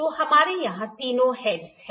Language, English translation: Hindi, So, we have all the three heads here